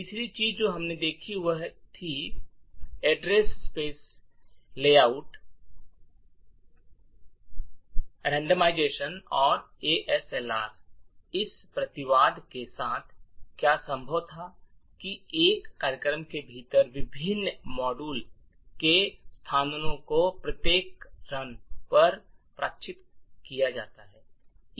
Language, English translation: Hindi, The third thing that we also looked at was address space layout randomization or ASLR with this a countermeasure, what was possible was that the locations of the various modules within a particular program is randomized at each run